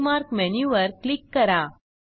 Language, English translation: Marathi, Now click on the Bookmark menu